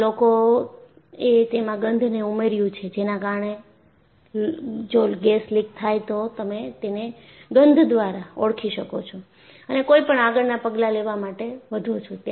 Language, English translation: Gujarati, People have added that smell, so that, if there is a leak, you would respond to it by smell and go on to take corrective measures